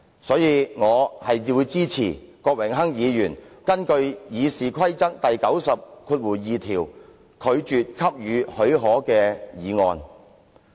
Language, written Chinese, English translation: Cantonese, 所以，我支持郭榮鏗議員根據《議事規則》第902條動議的拒絕給予許可的議案。, I thus support the motion moved by Mr Dennis KWOK under Rule 902 of the Rules of Procedure that the leave be refused